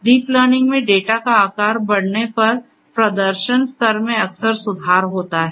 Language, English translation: Hindi, In deep learning, the performance level often improves as the size of the data increases